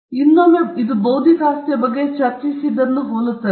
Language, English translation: Kannada, This, again, is similar to what we discussed about intellectual property right